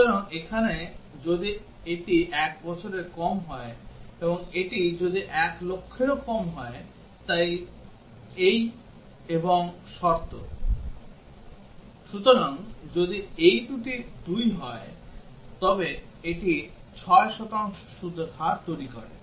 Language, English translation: Bengali, So, here if it is less than 1 year and if it is less than 1 lakh, so this is and condition here; so if both of these are two then it produces 6 percent interest rate